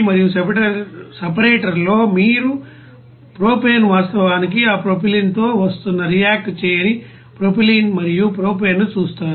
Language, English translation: Telugu, And in the separator you will see that unreacted propylene and propane where propane is actually basically coming with that propylene